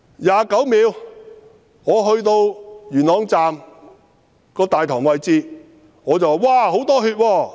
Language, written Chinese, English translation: Cantonese, 29秒：我到了元朗站大堂位置，我說："哇！, At 29 second I arrived at the concourse of Yuen Long Station and I cried out Oh there is a lot of blood